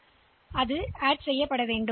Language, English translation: Tamil, So, we need to add it